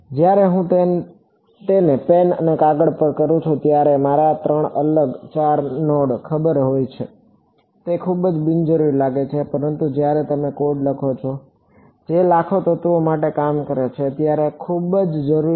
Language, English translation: Gujarati, When I do it on pen and paper for you know three nodes four nodes it seems very unnecessary, but when you write a code that should work for millions of elements its very very necessary ok